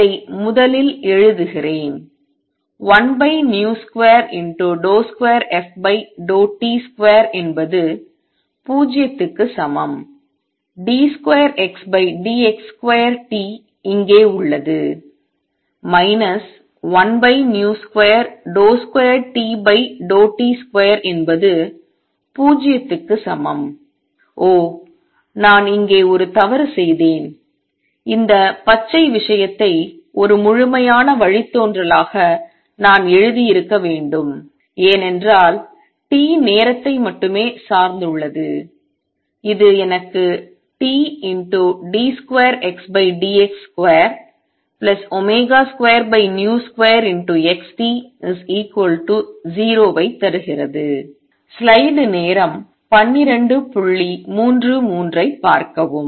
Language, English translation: Tamil, Let me write this completely first 1 over v square d 2 f by d t square is equal to 0 becomes d 2 X by d x square T remains here minus 1 over v square x comes out side d 2 T over d t square is equal to 0; oh, I made a mistake here, I should have written this green thing as a complete derivative because t depends only on time and this gives me T d 2X over d x square minus minus plus omega square over v square XT is equal to 0